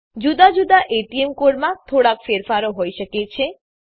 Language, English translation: Gujarati, There could be minor variations in different ATM cards